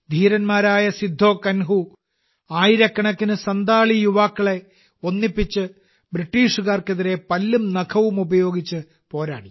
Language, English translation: Malayalam, Veer Sidhu Kanhu united thousands of Santhal compatriots and fought the British with all their might